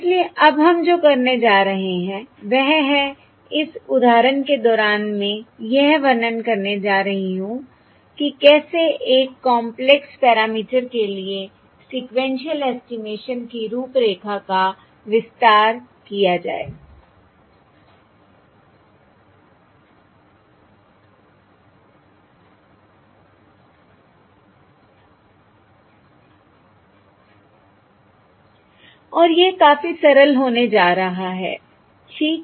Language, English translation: Hindi, during this example, Im going to illustrate how to extend the framework of sequential estimation to a complex parameter and that is going to be fairly simple, alright